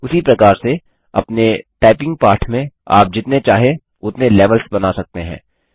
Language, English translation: Hindi, Similarly you can create as many levels as you want in your typing lesson